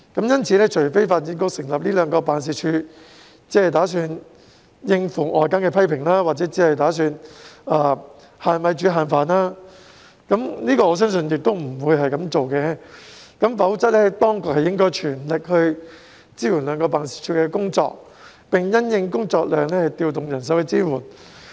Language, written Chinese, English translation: Cantonese, 因此，除非發展局成立這兩個辦事處只為應付外間的批評或是"限米煮限飯"——但我相信不會是這樣的——否則當局應全力支援兩個辦事處的工作，並因應工作量調動人手支援。, Therefore unless these two offices were established by DEVB to merely respond to the criticisms or cook with a limited amount of rice―but I do not believe this is the case―otherwise the authorities should render full support to the work of these two offices and deploy manpower to provide support in the light of the workload